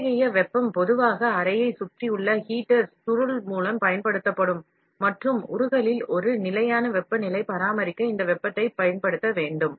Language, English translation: Tamil, Such heat would normally be applied by heater coil wrapped around the chamber and ideally this heating should be applied to maintain a constant temperature in the melt